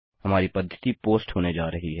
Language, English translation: Hindi, Our method is going to be POST